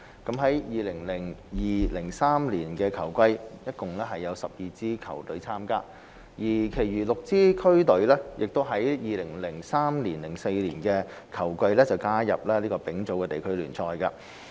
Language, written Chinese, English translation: Cantonese, 在 2002-2003 球季，共有12支區隊參加，其餘6支區隊亦於 2003-2004 球季加入丙組地區聯賽。, In the 2002 - 2003 football season there were 12 participating district teams; in the 2003 - 2004 football season the remaining six district teams also joined the Third Division League